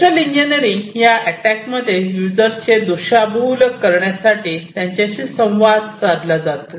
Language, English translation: Marathi, Social engineering, this attack involves human interaction to mislead the users